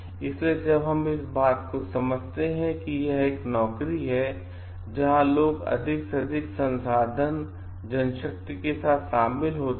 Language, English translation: Hindi, So, we understand like this being a job where people are involved with like greater resources manpower